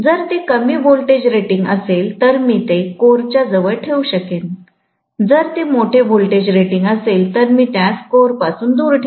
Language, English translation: Marathi, So, if it is lower voltage rating, I can put it closer to the core, whereas if it is larger voltage rating, I better put it away from the core